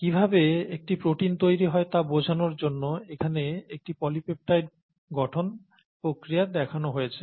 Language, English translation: Bengali, A polypeptide formation is given here to illustrate how a protein gets made